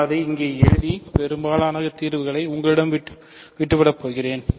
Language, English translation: Tamil, So, I will write it down here and leave most of the solution to you